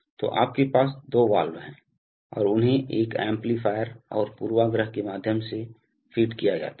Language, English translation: Hindi, So you have two valves and they are fed through an amplifier and a bias right